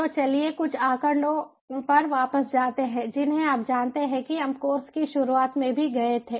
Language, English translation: Hindi, so let us go back to some statistics, some of which we, ah, you know, we also went thorough, ah, at the beginning of the course